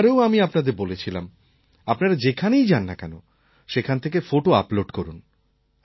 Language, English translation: Bengali, Last time too, I had requested all of you to upload photographs of the places you visit